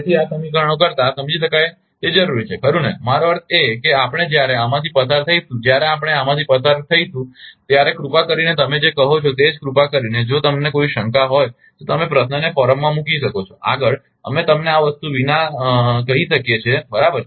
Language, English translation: Gujarati, So, rather than these equation this understandable is require right, I mean I mean when we will go through this, when we will go through this then please ah just ah your what you call, just ah if you have any doubt you can put the question in forum further further we can tell you without this thing right